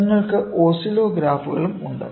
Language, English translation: Malayalam, So, you can also have oscillographs